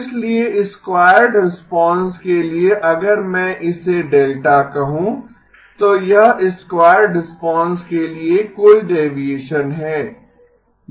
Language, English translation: Hindi, So that is the and so for the squared response if I call this as delta that is a total deviation for the squared response